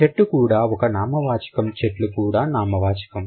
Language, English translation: Telugu, Tree is also a noun, trees is also a noun